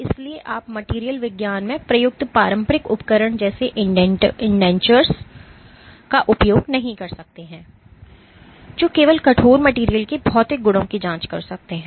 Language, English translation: Hindi, So, you cannot use traditional instrument used in material science like indentures which can only probe the material properties of stiff materials